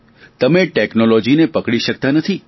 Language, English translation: Gujarati, You cannot shackle technology